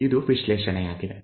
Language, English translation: Kannada, This is the analysis